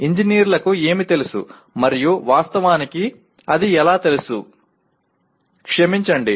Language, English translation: Telugu, What engineers know and how they know it actually, sorry